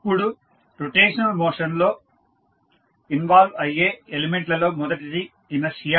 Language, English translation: Telugu, Now, the elements involved in the rotational motions are first inertia